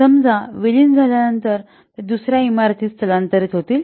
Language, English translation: Marathi, So, after merging, suppose they will be shifted to another building